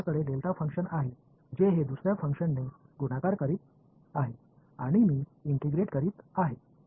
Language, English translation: Marathi, I have a delta function it is multiplying by another function and I am integrating